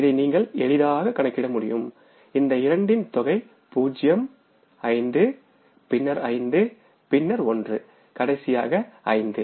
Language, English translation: Tamil, This you can easily calculate is this sum of these two and this is going to be 0, 5, then it is 5, then it is 1 and then it is 5